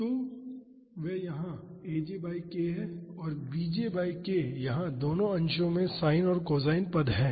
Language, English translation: Hindi, So, that is aj by k here and bj by k here, both numerators have sin and cosine terms